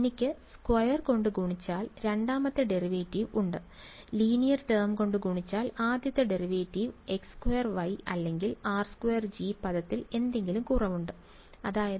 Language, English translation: Malayalam, I have a second derivative multiplied by squared, first derivative multiplied by linear term and x squared y or a r squared G term right the something is slightly off and that is